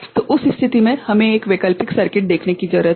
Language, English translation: Hindi, So, in that case we need to look at an alternative circuit